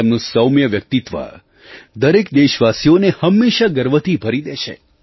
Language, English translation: Gujarati, His mild persona always fills every Indian with a sense of pride